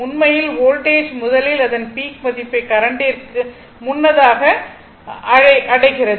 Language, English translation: Tamil, So, first voltage actually reaching it is peak value before current because current is here